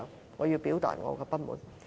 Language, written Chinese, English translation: Cantonese, 我對此要表達我的不滿。, I have to express my dissatisfaction about that